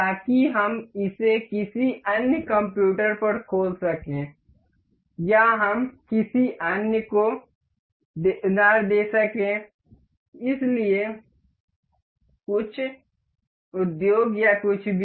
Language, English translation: Hindi, So, that we can play it on any other computer or we can lend it to someone, so some industry or anything